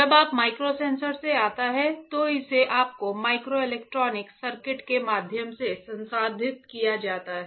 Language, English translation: Hindi, So, when the data comes from the microsensors, it is processed through your microelectronic circuits right